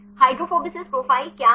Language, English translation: Hindi, So, what is hydrophobicity profile